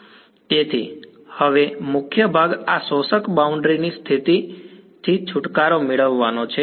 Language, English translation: Gujarati, So, now the key part is to get rid of this absorbing boundary condition